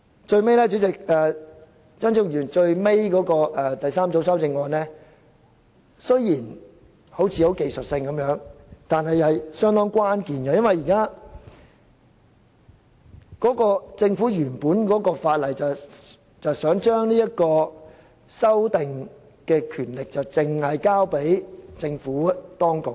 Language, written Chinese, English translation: Cantonese, 最後，張超雄議員的第三組修正案雖然看似是技術性修訂，但其實相當關鍵，因為政府原本的《條例草案》是想將修訂額外賠償額的權力單單交給政府當局。, Lastly while the third group of amendment proposed by Dr Fernando CHEUNG seems technical in nature it is indeed crucial given that the original Bill introduced by the Government seeks to confer the power of revising the amount of further compensation solely to the Administration